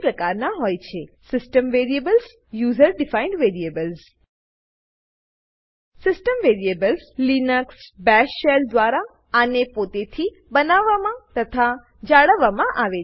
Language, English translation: Gujarati, * There are two types of variables System variables User defined variables System variables, These are created and maintained by Linux Bash Shell itself